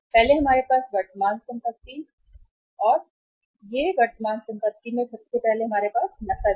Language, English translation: Hindi, First we have the current assets and these assets are current assets are first is cash